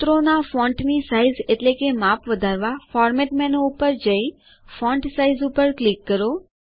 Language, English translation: Gujarati, To increase the font size of the formulae, go to Format menu and click on Font Size